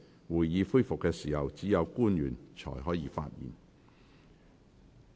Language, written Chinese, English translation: Cantonese, 會議恢復時，只有官員才可發言。, Only public officers may speak when the Council resumes